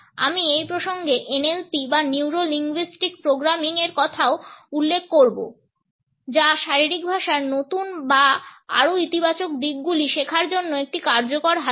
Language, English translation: Bengali, I would also refer to NLP or Neuro Linguistic Programming in this context which is an effective tool as for as learning new or more positive aspects of body language is concerned